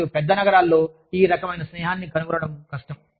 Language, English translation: Telugu, And, in larger cities, it is hard to find, this kind of camaraderie